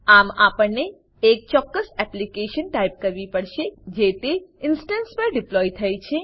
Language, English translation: Gujarati, So,we must type the specific application that has been deployed on that instance